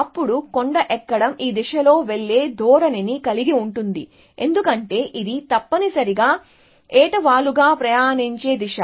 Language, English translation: Telugu, Then hill climbing would have a tendency to go in this direction which is, because that is a steepest gradient direction essentially